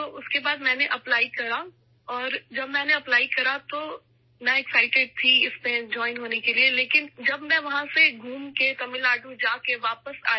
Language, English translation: Urdu, So after that I applied and when I applied, I was excited to join it, but after traveling from there to Tamil Nadu, and back …